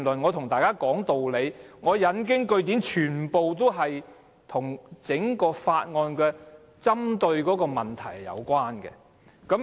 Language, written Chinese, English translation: Cantonese, 我和大家講道理，引經據典，全都與《條例草案》針對的問題有關。, All my reasoning and quotations have everything to do with issues pinpointed by the Bill